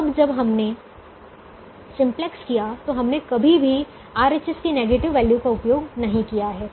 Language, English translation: Hindi, so far, when we have done simplex, we have never used a negative value on the right hand side